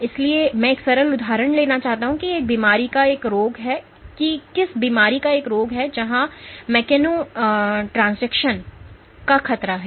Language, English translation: Hindi, So, I would like to take a simple example of where of a disease where mechanotransduction is perturbed